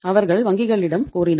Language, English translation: Tamil, They requested the banks